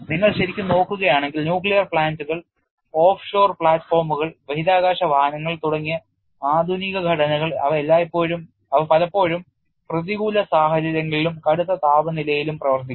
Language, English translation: Malayalam, And if you really look at the modern structures such as nuclear plants, offshore platforms, space vehicles etcetera they often operate in hostile environments and at extreme temperatures